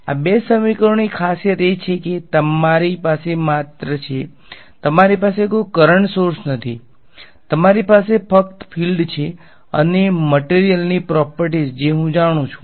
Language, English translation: Gujarati, The beauty of these two equations is that you only have, you do not have any current sources, you just have the fields and the material properties which I know